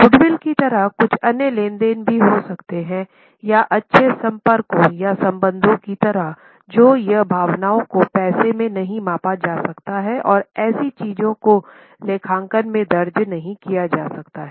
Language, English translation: Hindi, There could be some other transactions like goodwill or like good contacts or relations or emotions which cannot be measured in money and such things cannot be recorded in accounting